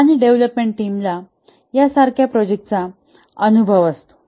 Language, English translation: Marathi, Development team have experience with similar projects